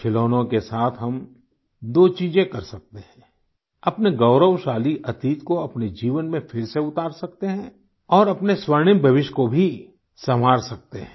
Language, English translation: Hindi, We can do two things through toys bring back the glorious past in our lives and also spruce up our golden future